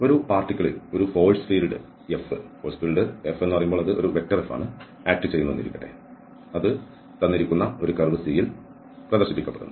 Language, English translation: Malayalam, So, let a force field F act on a particle which is displayed along a given curve C